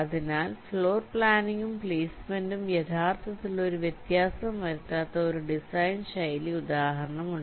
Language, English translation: Malayalam, ok, so here there is one design style example where floorplanning and placement does not make any difference, actually, right